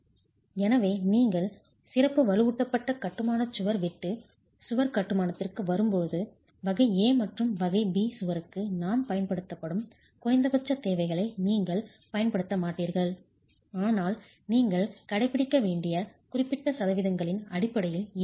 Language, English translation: Tamil, So, when you come to the special reinforced masonry wall, shear wall construction, you will not use the minimum requirements that we have been using for type A and type B wall, but it's more in terms of specific percentages that you have to adhere to